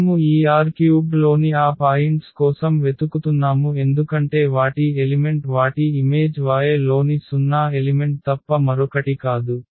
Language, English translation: Telugu, So, we are looking for those points in this R 3 because their element their image is nothing but the 0 element in y